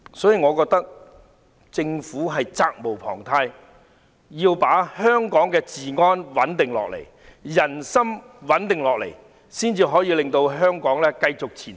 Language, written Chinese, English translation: Cantonese, 所以，我覺得政府責無旁貸，必須穩定香港的治安，穩定人心，才能夠令香港繼續前行。, Hence I hold that the Government is duty - bound to restore law and order in Hong Kong and to stabilize the hearts of the people so as to enable Hong Kong to continue to move forward